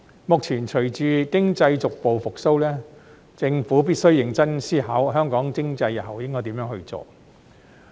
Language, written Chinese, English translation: Cantonese, 目前隨着經濟逐步復蘇，政府必須認真思考香港經濟日後應該何去何從。, Now that the economy is gradually recovering the Government must seriously consider the directions for Hong Kongs economy in future